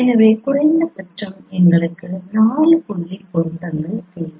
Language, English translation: Tamil, So, minimally we require four point correspondences